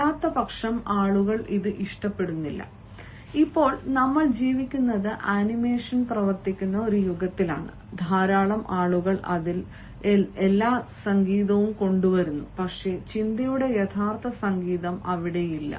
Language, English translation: Malayalam, now a days, we are living in an age where animation works a lot, people bring all sorts of musicality in it, but the real music of thought is not there